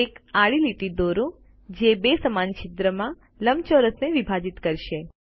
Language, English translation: Gujarati, Draw a horizontal line that will divide the rectangle into two equal halves